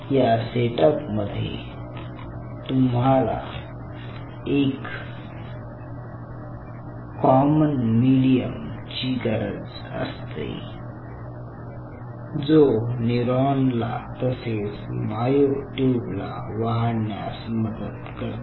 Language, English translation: Marathi, so what you need it in such a setup is you needed a common medium which will allow growth of both this moto neuron as well as the myotube